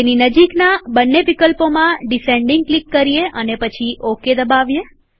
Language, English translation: Gujarati, Click on Descending in both the options near them and then click on the OK button